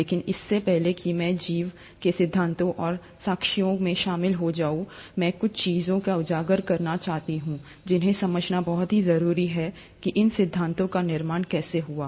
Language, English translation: Hindi, But before I get into the theories and evidences of life, I want to highlight certain things, which are very important to understand how these theories were built up